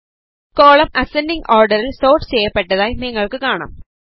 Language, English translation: Malayalam, You see that the column gets sorted in the ascending order